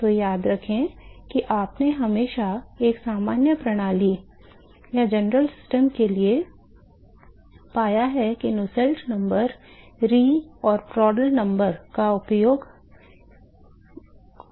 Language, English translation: Hindi, So, remember that you always found for a general system you always found Nusselt number is some function of re and Prandtl number all right